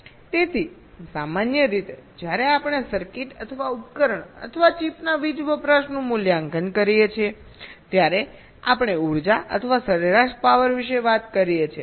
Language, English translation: Gujarati, so normally, when we evaluate the power consumption of a circuit or a device or a chip, we talk about the energy or the average power